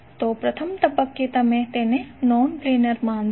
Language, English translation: Gujarati, So, at the first instance you will consider it as a non planar